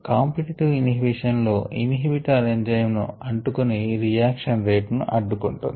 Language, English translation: Telugu, in the competitive inhibition, the inhibitor binds the enzyme and there by inhibits the rate of the reaction